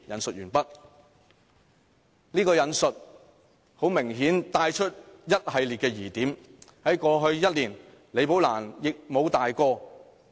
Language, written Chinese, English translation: Cantonese, "這段引述明顯帶出一系列疑點，而在過去1年，李寶蘭亦無大過。, End of quote This quotation brings out a whole series of queries . In the past one year Rebecca LI did not commit any major mistakes